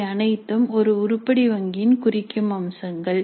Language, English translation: Tamil, So these are all the indicative features of an item bank